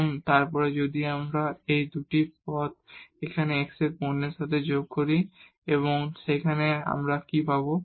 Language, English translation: Bengali, And, then if we add these 2 terms with the product of x here and y there what we will get